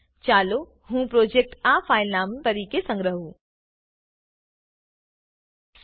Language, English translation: Gujarati, Let me save this project as this filename Dubbed into Hindi